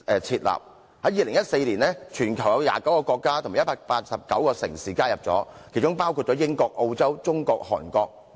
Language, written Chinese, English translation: Cantonese, 在2014年，全球已有29個國家及189個城市加入這個組織，包括英國、澳洲、中國及韓國。, As at 2014 29 countries and 189 cities all over the world have joined the organization including the United Kingdom Australia China and Korea